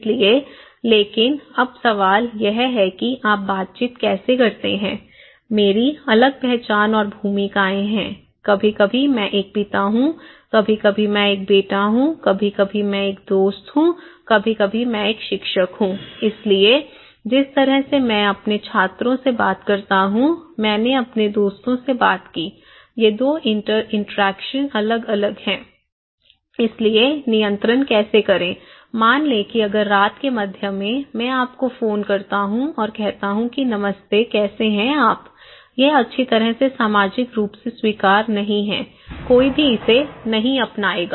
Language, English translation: Hindi, So, but then now question is that how do you make interactions, I have different identity and roles, sometimes I am a father, sometimes I am a son, sometimes I am a friend, sometimes I am a teacher so, the way I talk to my students, I talked to my friends, these 2 interactions are different so, how to control like suppose, if at the middle of the night, I call you and say hey, hello how are you, well this is not socially accepted, nobody would bother that one, okay